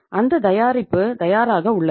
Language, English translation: Tamil, That product is readymade